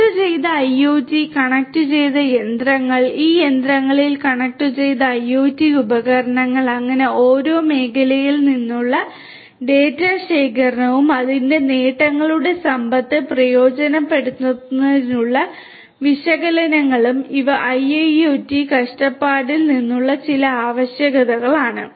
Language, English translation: Malayalam, Connected IoT, connected machinery, connected IoT devices on these machineries and so and the collection of data from each sector and performing analytics to exploit the wealth of its benefits, these are some of the requirements from IIoT perspective